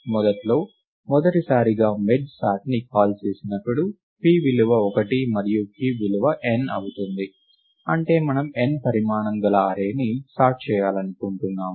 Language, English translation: Telugu, Initially the first time when merge sort would be called, the value of p would be 1 and q would be n; that is we would we want to sort the array of size n